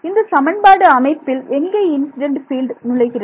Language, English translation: Tamil, Where does the incident field enter inside the system of equations